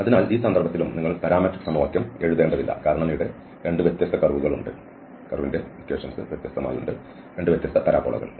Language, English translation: Malayalam, So, in this case also you do not have to write the parametric equation because there are 2 separate curves there 2 different parabola